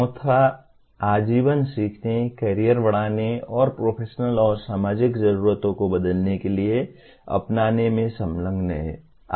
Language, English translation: Hindi, The fourth one is engage in lifelong learning, career enhancement and adopt to changing professional and societal needs